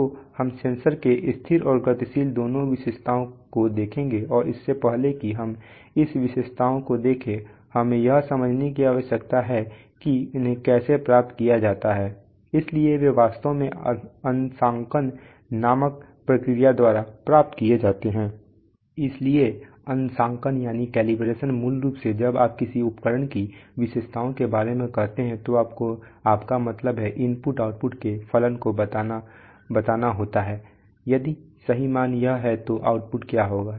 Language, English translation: Hindi, So we will look at both sensor and both static and dynamic characteristics and before we look at this characteristic, we need to understand how they are obtained, so they are actually obtained by a process called calibration, so basically a calibration is, you know, we are saying that if the true value is so and so what is the, so calibration is basically, when you say static, when you say characteristics of an instrument what you mean is, what is the input output characteristics so if the true value is so and so what is the output that is what, that is what is it essentially to be determined